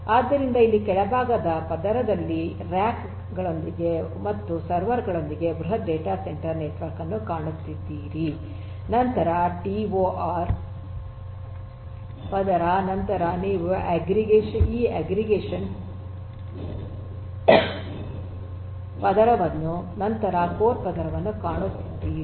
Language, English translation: Kannada, So, you are going to have a huge data centre network with racks and servers at the very bottom layer, then you have this tor layer, then you have this aggregation layer and then you have this core layer